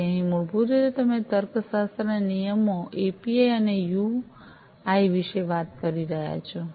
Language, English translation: Gujarati, So, here basically you are talking about logics and rules APIs and UIs